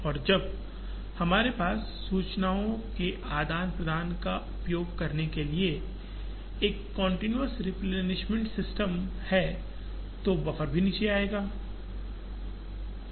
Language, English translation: Hindi, And when we have a continuous replenishment system using information sharing, the buffer also will come down